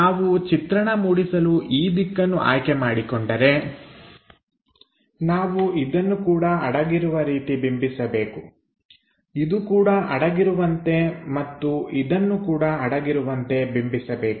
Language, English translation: Kannada, If we are picking this direction for the view, we have to represent this one also hidden, this one also hidden and also this one also hidden